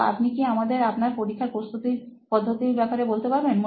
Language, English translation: Bengali, Can you just take us through how your preparation would be for an exam